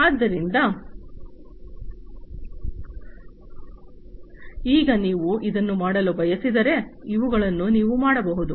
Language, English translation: Kannada, So, now if you want to do this, these are the things that you can do